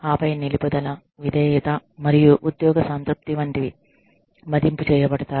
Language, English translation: Telugu, And then, you know, so, retention, and loyalty, and job satisfaction, is evaluated